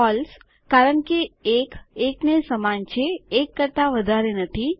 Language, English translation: Gujarati, False, because 1 is equal to 1 and not greater than 1